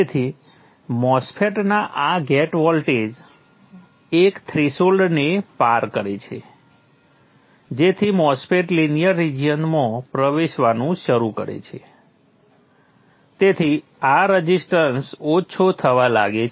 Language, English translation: Gujarati, So the mass fat, the gate voltage crosses the threshold, the MOSFIT starts entering into the linear region, this resistance starts decreasing